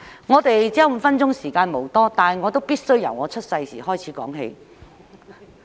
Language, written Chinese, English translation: Cantonese, 我只有5分鐘發言，時間無多，但我必須由我出生那時開始說起。, I only have five minutes to speak and I do not have much time left . I must however start from the time I was born